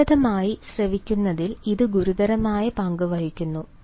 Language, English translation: Malayalam, it plays a serious role in effective listening